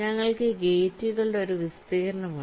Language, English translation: Malayalam, here what we have, we have an area of gates